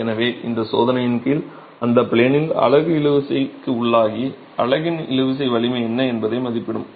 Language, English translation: Tamil, So, under this test you will have the unit subjected to pure tension in that plane and will give you an estimate of what the tensile strength of the unit is